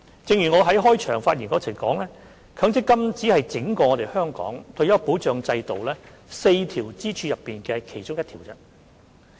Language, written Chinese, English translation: Cantonese, 正如我在開場發言中指出，強積金只是香港整個退休保障制度4條支柱的其中一條。, As I have indicated in my opening remarks MPF only serves as one of the four pillars for the retirement protection system of Hong Kong